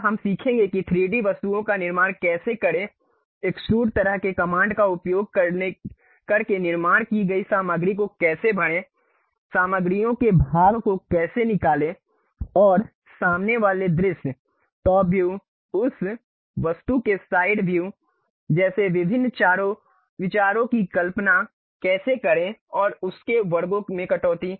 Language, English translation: Hindi, Now, we will learn about how to construct 3D objects, how to use extrude kind of commands filling the materials constructed, how to remove part of the materials and how to visualize different views like front view, top view, side view of that object and cut sections of that